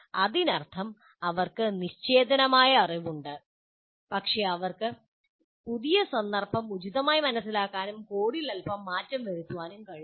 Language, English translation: Malayalam, So that is the, that means they have inert knowledge, but they are not able to appropriately kind of change the, understand the new context and slightly alter the code